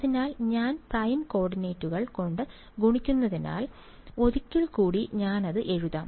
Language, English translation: Malayalam, So, because I am multiplying by prime coordinates, I can this is just once again I will write it